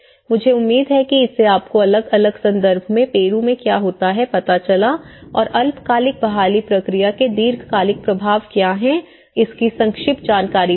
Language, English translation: Hindi, I hope this has given you a brief understanding of what happens in Peru in different context and what are the long term impacts for the short term recovery process